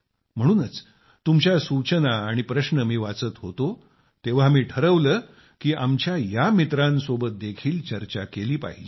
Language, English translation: Marathi, Therefore, when I was reading your suggestions and queries, I decided that these friends engaged in such services should also be discussed